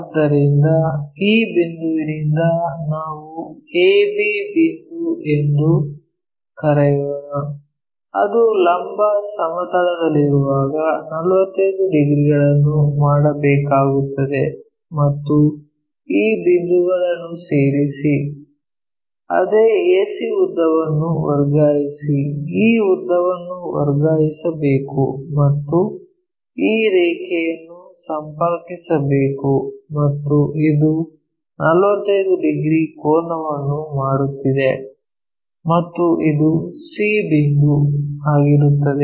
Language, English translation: Kannada, So, from this point let us call a, b point it is suppose to make 45 degrees when it is in the vertical plane join these points, transfer the same length a to c this length has to be transferred and connect these lines and this is making 45 degrees angle and this point is c